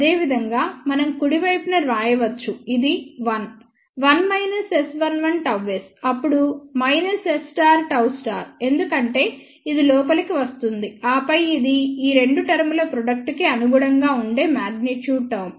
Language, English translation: Telugu, Similarly, we can write the right hand side so, this will be 1 1 minus S 1 1 gamma s, then minus S 11 star gamma s star because this will come inside and then, then magnitude term corresponding to the product of these two terms